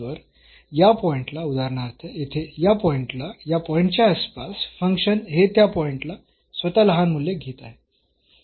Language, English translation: Marathi, So, at this point for example, at this point here the function in the neighborhood of this point is taking a smaller values at that point itself